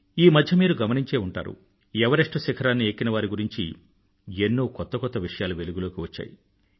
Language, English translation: Telugu, Recently, you must have come across quite a few notable happenings pertaining to mountaineers attempting to scale Mount Everest